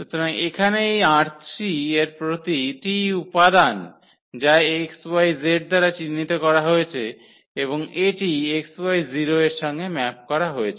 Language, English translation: Bengali, So, here every element of this R 3 which is denoted by this x y z and it maps to this x, y and the z becomes 0